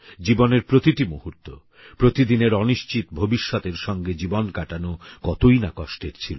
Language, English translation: Bengali, How painful it would have been to spend every moment, every day of their lives hurtling towards an uncertain future